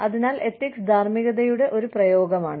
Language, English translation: Malayalam, So, ethics is an application of morality